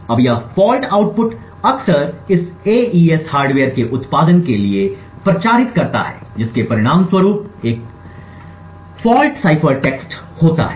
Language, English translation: Hindi, Now this faulty output hen propagates to the output of this AES hardware resulting in a faulty cipher text